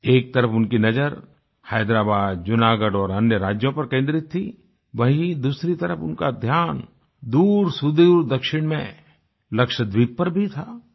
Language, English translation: Hindi, On the one hand, he concentrated on Hyderabad, Junagarh and other States; on the other, he was watching far flung Lakshadweep intently